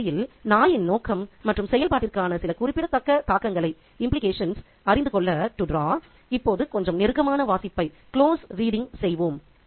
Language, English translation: Tamil, Now let's do a little bit of close reading to draw certain significant implications for the purpose and the function of the dog in the story